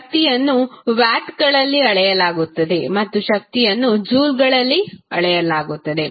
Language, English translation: Kannada, Power is measured in watts and w that is the energy measured in joules